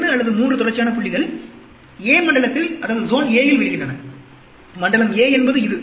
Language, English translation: Tamil, 2 or 3 consecutive points fall in zone a; zone a is this